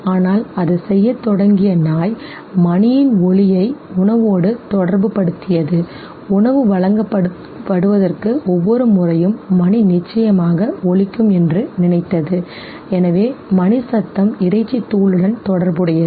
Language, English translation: Tamil, But then the dog what it started doing was that it associated the sound of the bell with the food, it thought that every time before the food is presented the bill is definitely rung, so sound of the bell got associated with the meat powder